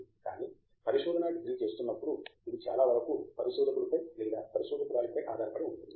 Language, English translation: Telugu, But when a research degree lot of it depends on the researcher himself or herself